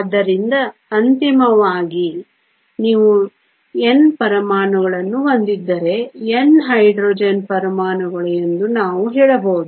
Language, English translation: Kannada, So, ultimately we can say if you have N atoms could be N Hydrogen atoms